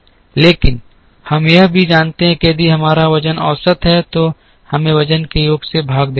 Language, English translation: Hindi, But, we also know that if we have a weighted average then we have to divide by the sum of the weights